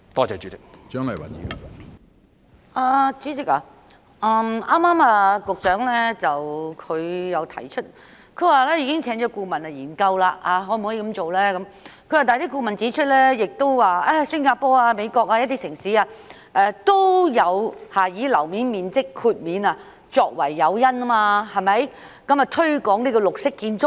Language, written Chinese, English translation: Cantonese, 主席，局長剛才提及已經聘請顧問研究可否這樣實行，但顧問指出新加坡、美國等地一些城市也有以寬免樓面面積作為誘因，以推廣綠色建築。, President the Secretary mentioned just now that a consultant commissioned to study the feasibility pointed out that GFA concessions were also been granted in Singapore and some cities in US as incentives to promote green buildings